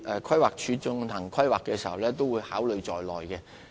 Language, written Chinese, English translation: Cantonese, 規劃署進行規劃時已經考慮這些已知的發展項目。, PlanD has already taken these known development projects into consideration in the course of planning